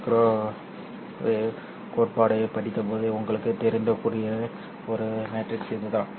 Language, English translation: Tamil, And this is the kind of a matrix that you might have been familiar when you have studied microwave theory